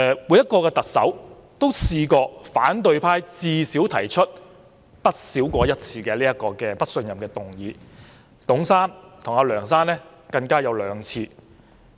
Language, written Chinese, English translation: Cantonese, 每位特首也曾遭反對派提出至少一次"不信任"議案，其中董先生和梁先生更有兩次。, Each Chief Executive had found himself or herself the target of at least one no - confidence motion with Mr TUNG and Mr LEUNG each being targeted twice